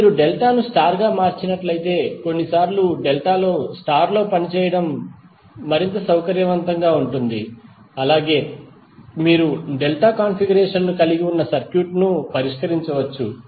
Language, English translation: Telugu, Now if you convert delta to star then sometimes it is more convenient to work in star than in delta and you can solve the circuit which contain delta configuration